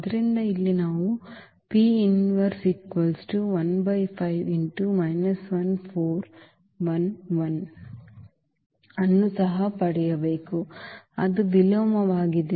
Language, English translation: Kannada, So, here we have to get this P inverse also, that is the inverse